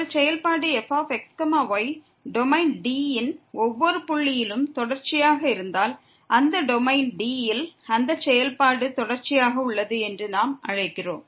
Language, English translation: Tamil, And if a function is continuous at every point in the domain D, then we call that function is continuous in that domain D